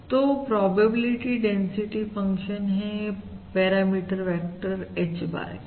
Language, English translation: Hindi, this is now the likelihood function, the likelihood function for the parameter vector H bar